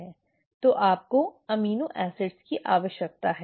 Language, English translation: Hindi, So you need the amino acids